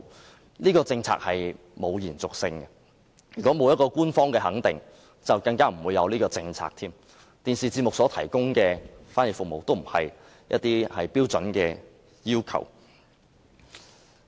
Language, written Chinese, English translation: Cantonese, 由於這項政策並沒有延續性，如果沒有官方肯定，更不會有此政策，而電視節目所提供的翻譯服務亦不是標準的要求。, Since this policy has no continuity thus no such policy will be put in place in future if there is no official recognition . Furthermore the provision of sign language interpretation service by television stations is not a standard requirement